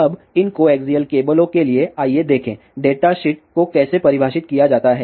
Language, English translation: Hindi, Now, for this co axial cable, let us see; how the data sheets are define